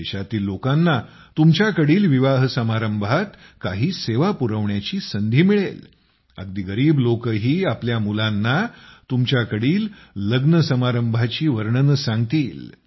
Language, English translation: Marathi, The people of the country will get an opportunity to render some service or the other at your wedding… even poor people will tell their children about that occasion